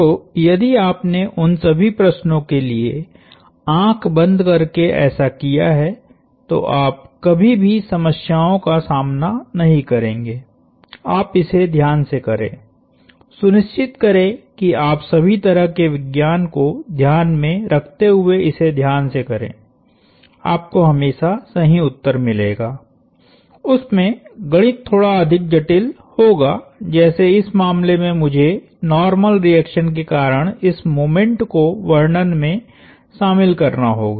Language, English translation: Hindi, So, if you blindly did this for all the problems you would never run into problems, you do it carefully make sure you keep track of all the science do it carefully, you would always get the right answer, you would math would be slightly more complicated, like in this case I have to account for the moment due to the normal reaction